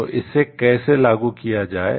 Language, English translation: Hindi, So, how to enforce it